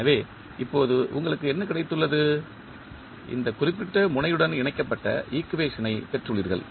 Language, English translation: Tamil, So, what you have got now, you have got the equation connected to this particular node